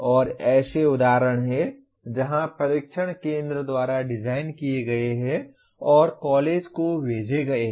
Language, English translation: Hindi, And there are instances where the tests are designed centrally and sent over to the college